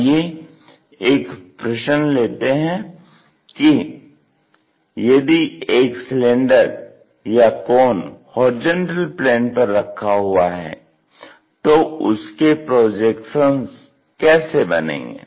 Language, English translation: Hindi, Now, let us ask a question if a cylinder or cone is placed on horizontal plane, how it looks like, what are the projections for the solid